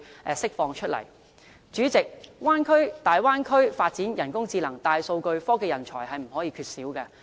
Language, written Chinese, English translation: Cantonese, 代理主席，大灣區發展人工智能和大數據，科技人才是不能缺少的。, Deputy President scientific and technological talents are indispensable to the development of artificial intelligence and big data in the Bay Area